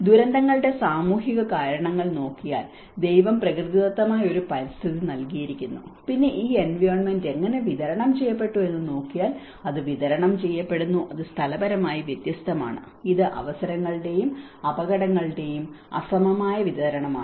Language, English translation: Malayalam, If you look at the social causation of the disasters, God has given as a natural environment and then if you look at how this environment has been distributed, it is distributed, it is spatially varied; it is unequal distribution of opportunities and hazards